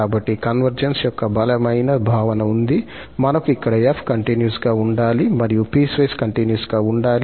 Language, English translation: Telugu, So, we have here the stronger notion of convergence that f has to be continuous and f prime has to be piecewise continuous